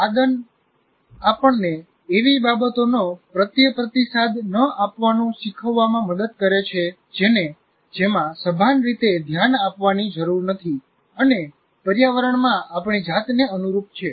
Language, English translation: Gujarati, Habituation helps us to learn not to respond to things that don't require conscious attention and to accustom ourselves to the environment